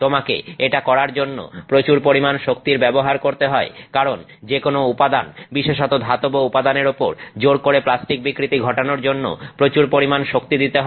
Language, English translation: Bengali, You are going to spend a lot of energy trying to get this done because you have to put a lot of energy to force materials, especially metallic materials to undergo plastic deformation